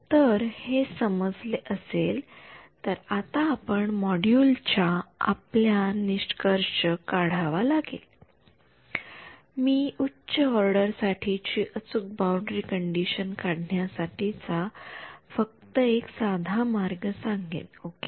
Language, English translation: Marathi, So, if this is clear then we need to conclude this module will I just mention one very simple way of making your boundary condition accurate for higher order ok